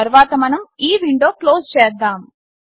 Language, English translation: Telugu, We will close this window